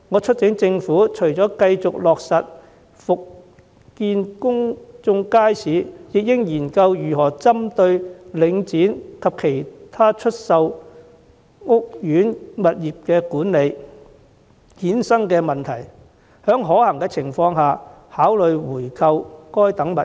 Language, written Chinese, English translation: Cantonese, 除了繼續落實復建公共街市外，我促請政府研究針對領展及其已出售的屋苑物業管理權所衍生的問題，在可行情況下考慮回購相關物業。, Apart from continuing to resume the construction of public markets I urge the Government to study the issues arising from Link REIT and its divestment of the management rights of some properties in housing estates and consider buying back those properties where practicable